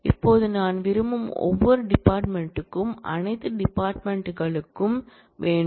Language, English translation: Tamil, Now, you want that for all the departments for each department I want